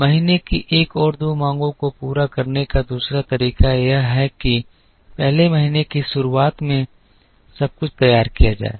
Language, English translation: Hindi, The other way to meet month one and two demand is to produce everything in the beginning of the first month